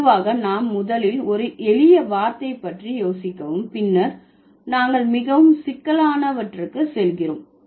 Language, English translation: Tamil, Generally what happens, we first think about a simple word then we move to the more complex ones